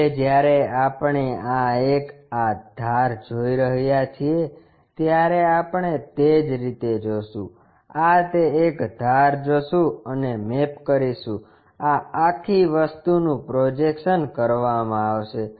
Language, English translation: Gujarati, Now, when we are looking this entire one this edge we will see, similarly this one this one maps we will see that edge, this entire thing will be projected